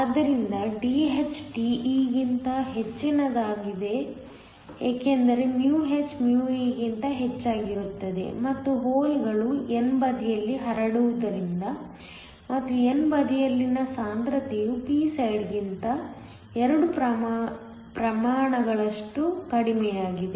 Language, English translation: Kannada, So, Dh is higher than De because h is higher than e and this is because the holes are diffusing on the n side and the concentration on the n side is two orders of magnitude less than the p side